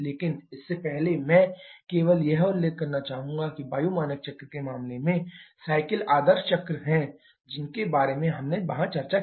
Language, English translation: Hindi, But before that I would just like to mention that in case of air standard cycles are ideal cycles, which we have discussed there